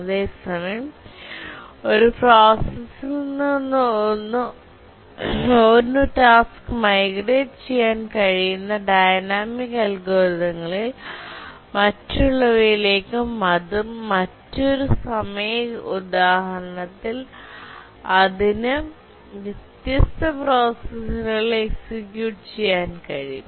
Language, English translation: Malayalam, Whereas we also have dynamic algorithms where a task can migrate from one processor to other and at different time instance it can execute on different processors